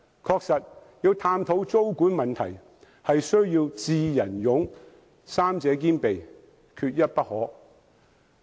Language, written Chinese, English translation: Cantonese, 確實，探討租管問題需要"智、仁、勇"三者兼備，缺一不可。, Indeed wisdom benevolence and courage are all indispensible factors when it comes to exploring the implementation of tenancy control